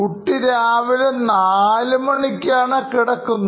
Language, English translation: Malayalam, Because he has slept at 4 am in the morning